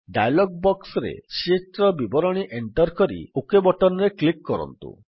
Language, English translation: Odia, You can enter the sheet details in the dialog box and then click on the OK button